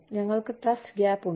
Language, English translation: Malayalam, We have a trust gap